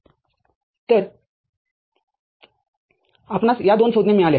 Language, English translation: Marathi, So, you have got this two terms